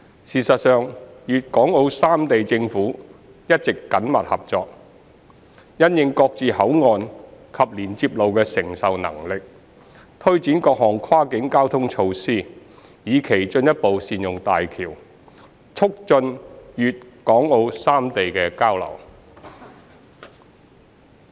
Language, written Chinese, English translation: Cantonese, 事實上，粵港澳三地政府一直緊密合作，因應各自口岸及連接路的承受能力，推展各項跨境交通措施，以期進一步善用大橋，促進粵港澳三地的交流。, As a matter of fact the governments of Guangdong Hong Kong and Macao have been working closely to take forward various cross - boundary transport measures having regard to the capacity of the respective boundary control points and connecting roads with a view to better utilizing HZMB and promoting exchanges amongst the three places